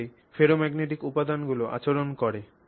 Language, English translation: Bengali, So, this is how the ferromagnetic material behaves